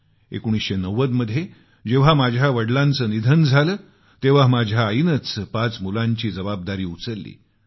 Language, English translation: Marathi, In 1990, when my father expired, the responsibility to raise five sons fell on her shoulders